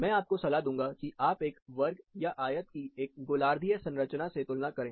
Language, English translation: Hindi, I would recommend; you can compare a square or a rectangle, with that of a hemispherical structure